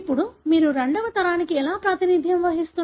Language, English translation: Telugu, Now, how do you represent the second generation